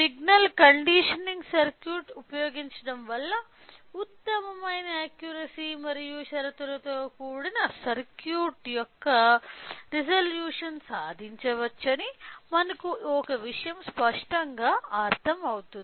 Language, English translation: Telugu, So, one thing it is clearly understood that using a signal conditioning circuit can achieved the best accuracy as well as the resolution of the conditional circuit